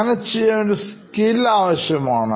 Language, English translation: Malayalam, So, it takes a bit of skill